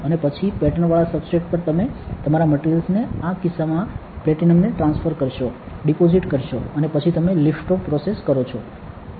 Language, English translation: Gujarati, And then on the patterned substrate you transfer your; you deposit your material in this case platinum and then you do the lift off process